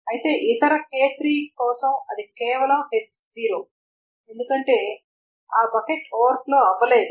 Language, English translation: Telugu, Whereas for other K3 it is simply H0 because that bucket has not overflown